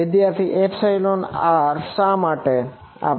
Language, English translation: Gujarati, epsilon r why are we